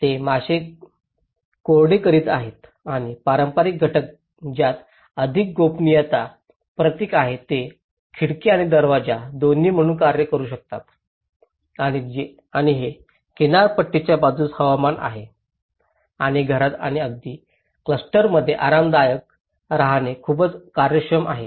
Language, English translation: Marathi, They are drying of the fish and also the traditional elements which have the more privacy symbols it could act both as a window and door and it is climatically on the coastal side it is very efficient to give comfortable stay in the house and even the clusters